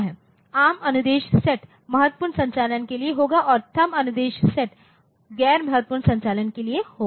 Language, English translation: Hindi, ARM instruction sets will be for critical operations and THUMB instruction set will be for non critical operations